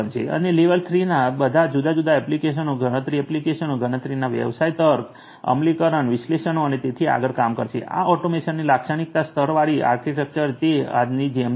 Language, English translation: Gujarati, And level 3 is going to be dealing with all these different applications, computation, applications computation business logic, implementation, analytics and so on, this is the typical layered architecture of automation as it stands now